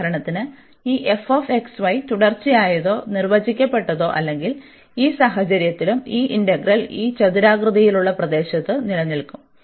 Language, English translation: Malayalam, So, for example, if this f x, y is continuous or defined and bounded in that case also this integral will exist on this rectangular region